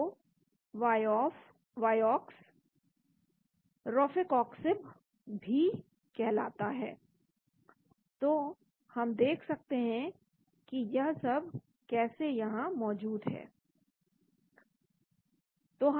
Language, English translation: Hindi, So vioxx is also called Rofecoxib, so we can look at how they are present